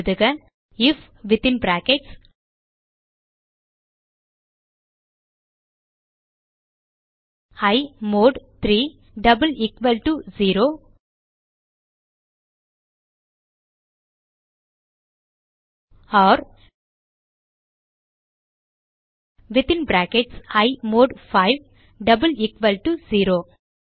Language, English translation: Tamil, So type, if within brackets i mod 3 double equal to 0 or within brackets i mod 5 double equal to 0